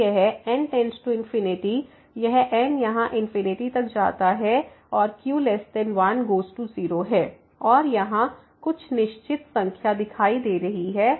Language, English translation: Hindi, So, this goes to infinity this here it goes to infinity and is less than 1 then this goes to 0 and here some fixed number is appearing